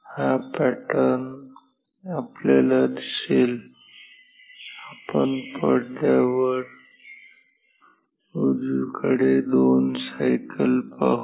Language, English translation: Marathi, So, we shall see this pattern we shall see 2 cycles on the screen right